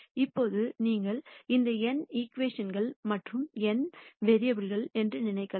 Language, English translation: Tamil, Now you can think of this as n equations and n variables